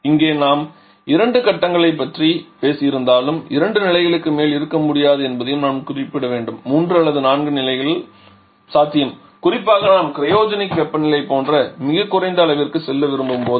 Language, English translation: Tamil, And I should mention that here though we have talked about 2 stage but it is possible that we can have more than 2 stages also 3 or 4 stages are also very much possible particularly when we are looking to go for very low like cryogenic level temperatures